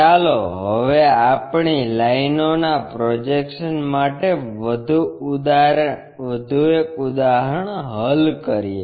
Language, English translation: Gujarati, Now, let us solve one more problem for our projection of lines